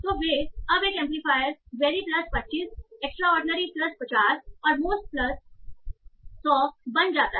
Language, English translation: Hindi, So they are now amplifiers where each plus 25 extraordinarily plus 50 and the most becomes plus 100